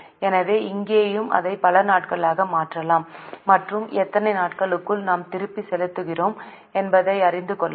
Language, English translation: Tamil, So, here also we can convert it into number of days and know within how many days we are repaying